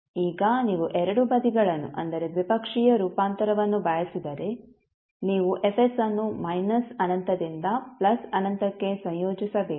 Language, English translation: Kannada, Now if you want both sides that is bilateral transform means you have to integrate Fs from minus infinity to plus infinity